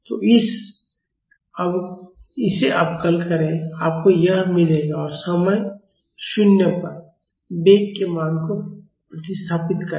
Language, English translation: Hindi, So, differentiate it you will get this and substitute the value of velocity at time is equal to 0